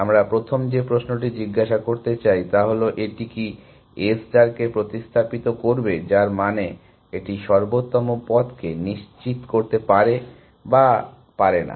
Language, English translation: Bengali, So, the first question we want to ask is does it survive the substitute for A star, which means does it guarantee and optimal path or not